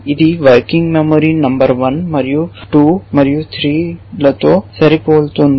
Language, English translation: Telugu, It is matching working memory number 1 and 2 and 3